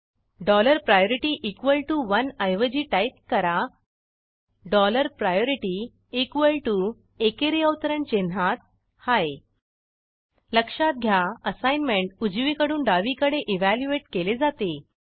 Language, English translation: Marathi, Instead of dollar priority equal to one type dollar priority equal to in single quote high Please note that the assignments are evaluated from right to left